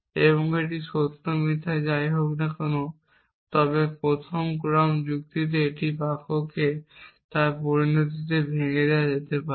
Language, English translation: Bengali, And whether it is true or false, but in first order logic a sentence can be broken down into its consequence